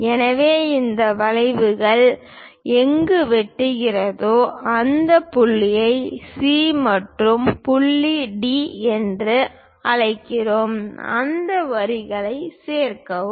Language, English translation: Tamil, So, wherever these arcs are intersecting; we call that point C and point D and join that lines